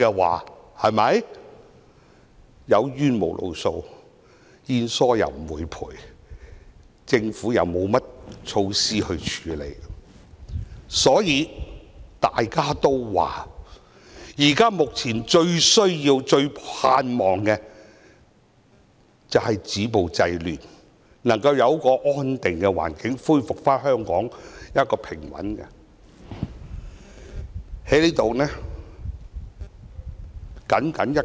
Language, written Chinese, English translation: Cantonese, 它們有冤無路訴，保險不承保，政府又沒有措施處理。正因如此，它們目前最需要、最盼望的是止暴制亂，香港能夠有一個安定的環境，恢復平穩。, Without an outlet for their pent - up grievances nor any insurance coverage nor countermeasures from the Government what they most need and hope for now is an end to violence and disorder thereby enabling Hong Kong to restore a peaceful and stable environment